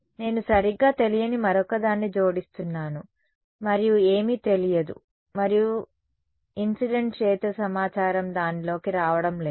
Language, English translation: Telugu, I am adding another unknown right then the and there is nothing known there is no incident field information coming into it